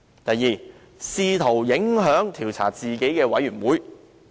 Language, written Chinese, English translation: Cantonese, 第二，試圖影響調查自己的專責委員會。, Secondly he was trying to influence the work of a select committee tasked to investigate him